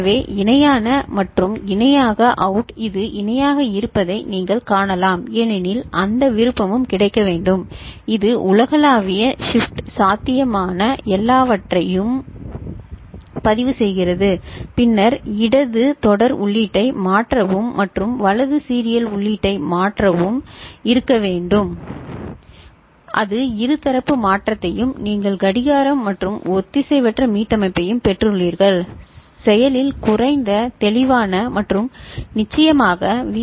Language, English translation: Tamil, So, parallel in and parallel out, you can see this is parallel out because that option also need to be made available it is universal shift register all possible things, then shift left serial input and shift right serial input both the things need to be that can have bidirectional shift and other than that you have got clock and asynchronous reset, active low clear and of course, Vcc and ground and it is a 16 pin package is it ok, right